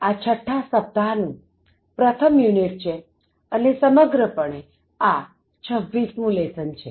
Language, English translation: Gujarati, This is the sixth week and the first unit of sixth week, and on the whole, this is lesson number 26